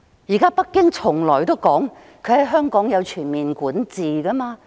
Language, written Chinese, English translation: Cantonese, 現在北京表示在香港有全面管治權。, Beijing has now indicated that it exercises overall jurisdiction over Hong Kong